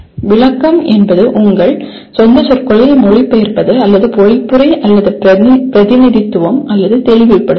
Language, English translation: Tamil, Interpretation means translating into your own words or paraphrasing or represent or clarify